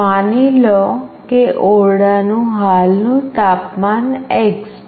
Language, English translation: Gujarati, Suppose the current temperature of the room is x